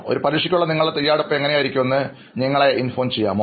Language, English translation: Malayalam, Can you just take us through how your preparation would be for an exam